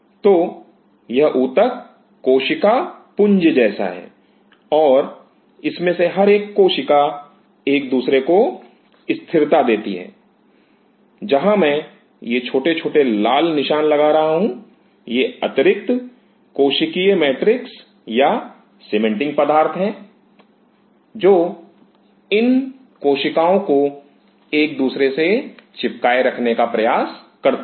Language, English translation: Hindi, So, this tissue as multiple cells and each one of the cells are anchor to each other where I am putting these small small red stumps, these are the extra cellular matrix or the cementing material which are making these cells to adhere to each other